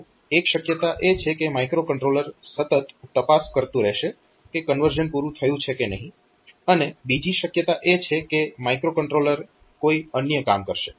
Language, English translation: Gujarati, So, one possibility is that the microcontroller will be continually checking whether the conversion is over or not, and other possibility is that microcontroller will go to some other job it will do some other job